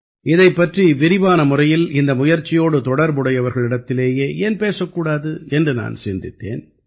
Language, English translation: Tamil, I thought, why not ask about this in detail from the very people who have been a part of this unique effort